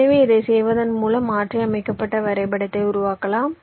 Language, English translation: Tamil, so by doing this you create modified graph here